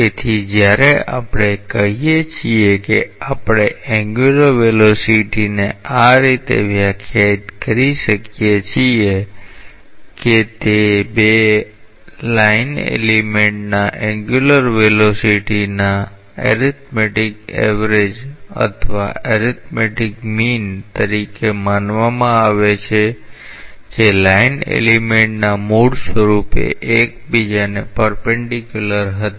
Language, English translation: Gujarati, So, when we say that we may define the angular velocity in this way that it may be thought of as the arithmetic average or arithmetic mean of the angular velocities of two line elements which were originally perpendicular to each other